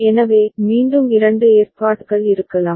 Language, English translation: Tamil, So, again there can be two arrangement